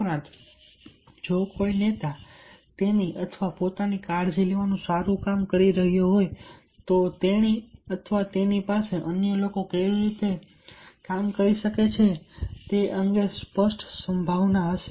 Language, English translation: Gujarati, also, if a leader is doing a good job of taking care of him or herself, she or he will have much clear prospective on how others can do